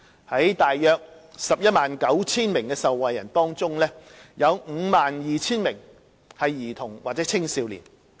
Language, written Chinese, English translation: Cantonese, 在大約 119,000 名受惠人中，約 52,000 名為兒童或青少年。, Around 119 000 persons have benefited from the Scheme and of these persons around 52 000 are children or youth